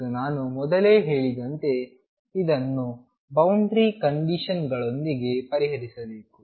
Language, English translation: Kannada, And as I said earlier this is to be solved with boundary conditions